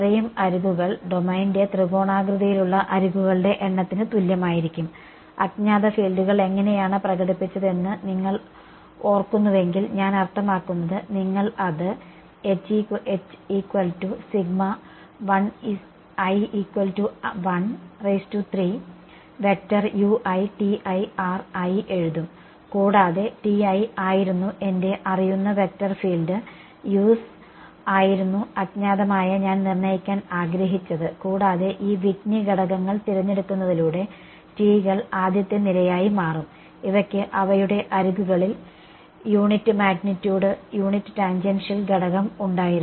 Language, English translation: Malayalam, As many edges right is going to be equal to number of edges in triangulation of the domain, how I mean if you remember how did you express the unknown fields right you wrote this as sum i is equal to 1 to 3 u i T i and T i was my known vector field u’s were the unknowns which I wanted to determine, and by choosing the these T s to be those first order Whitney elements these had unit magnitude unit tangential component along their respective edges